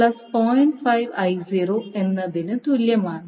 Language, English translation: Malayalam, So what is the value of I1